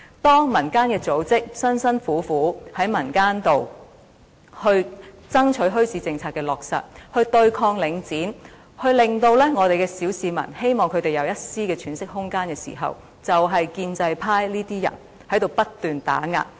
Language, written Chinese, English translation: Cantonese, 當民間組織辛辛苦苦地在民間爭取墟市政策的落實，對抗領展，希望小市民有一絲的喘息空間時，便是建制派這些人不斷打壓。, When non - governmental organizations have worked painstakingly in the community to campaign for the implementation of a policy on bazaars to counteract Link REIT in the hope that the public can have a bit of breathing space suppression by these people from the pro - establishment camp has never ceased